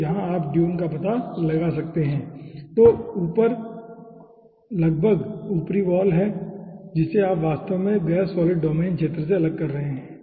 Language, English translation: Hindi, so here you can find out dune which is almost at the upper wall, you actually separating to gas solid domain region